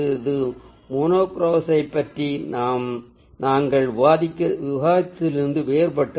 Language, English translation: Tamil, so that is a different from what we discussed about monochrome